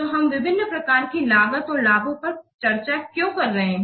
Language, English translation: Hindi, Then we have to categorize various cost and benefits